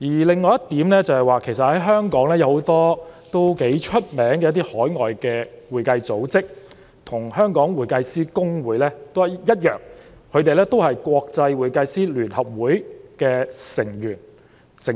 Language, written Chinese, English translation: Cantonese, 另一點是，香港有很多享負盛名的海外會計組織，跟公會一樣同屬國際會計師聯合會的成員。, Another point is that in Hong Kong many renowned overseas accounting institutes are also members of the International Federation of Accountants as in the case of HKICPA